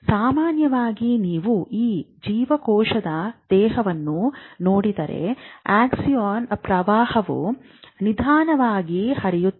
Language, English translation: Kannada, Normally if you see this cell body and Exxon the current goes slow